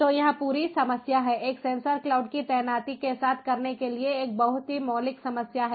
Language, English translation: Hindi, so this is the whole problem, a very fundamental problem to do with the deployment of sensor cloud